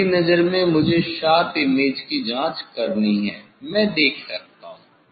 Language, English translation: Hindi, in my eye I have to check sharp image, I can see